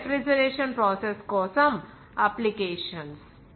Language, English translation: Telugu, So, these are applications for the refrigeration process